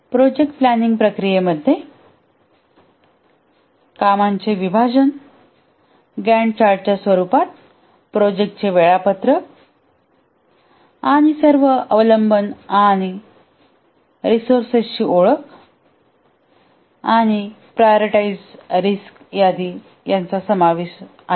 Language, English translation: Marathi, The project planning processes here the output include work breakdown structure, the project schedule in the form of Gantchard and identification of all dependencies and resources and a list of prioritized risks